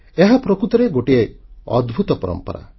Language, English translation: Odia, This is indeed a remarkable tradition